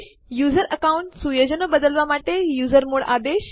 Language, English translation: Gujarati, usermod command to change the user account settings